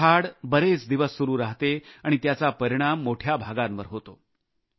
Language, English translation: Marathi, The locust attack lasts for several days and affects a large area